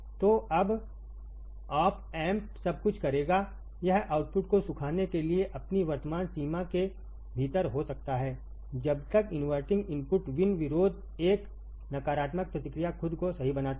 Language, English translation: Hindi, So, now, the op amp will do everything, it can within its current limitation to dry the output until inverting input resist V in correct a negative feedback makes itself correcting